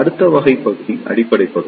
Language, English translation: Tamil, The next type of region is the Base region